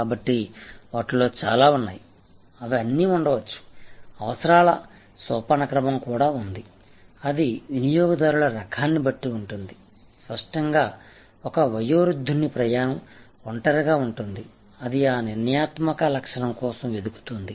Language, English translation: Telugu, So, there are a whole lot of them, they all can be there are, there also there is a hierarchy of needs, that will be met and depending on the type of customers; obviously a senior citizen travels will be alone looking for that determinant attribute, which enables him or her